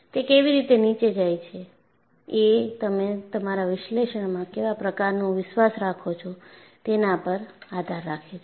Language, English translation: Gujarati, How below, depends on what kind of a confidence level you have in your analysis